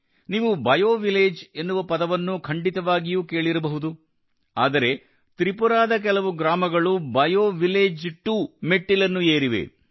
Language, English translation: Kannada, You must have heard about BioVillage, but some villages of Tripura have ascended to the level of BioVillage 2